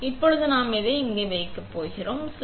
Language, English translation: Tamil, So, now, we are going to put this in here